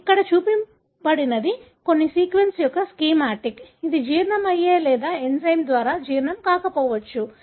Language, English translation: Telugu, What is shown here is a schematic of some sequence, which can be digested or not digested by an enzyme